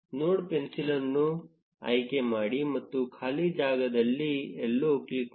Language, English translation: Kannada, Select the node pencil and click somewhere in the empty space